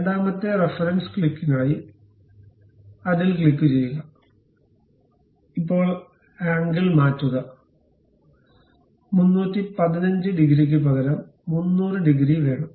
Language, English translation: Malayalam, For the second reference click, click that; now change the angle, instead of 315 degrees, I would like to have some 300 degrees